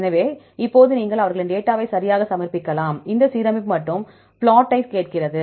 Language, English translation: Tamil, So, now, you can submit their data right, is asking for this alignment and the plot right